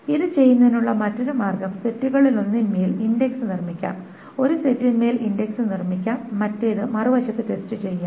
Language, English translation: Malayalam, The other way of doing it is that an index can be built on one of the sets, index on one set and the other can be then tested